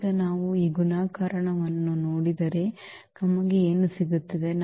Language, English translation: Kannada, Now if we just look at this multiplication what we are getting